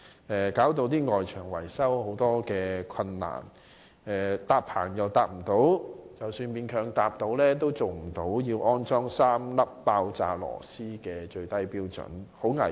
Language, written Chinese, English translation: Cantonese, 這些設計導致外牆維修出現很多困難，例如未能搭建棚架，即使勉強搭棚，亦做不到要安裝3粒爆炸螺絲的最低標準，實在很危險。, Such designs cause many difficulties to the maintenance of external building walls such as the impossibility of erecting scaffolds . And even if a scaffold can somehow be erected it will not be able to meet the minimum requirement of using three expansion screws . This causes very great danger